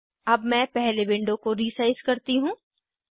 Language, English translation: Hindi, Let me resize this window first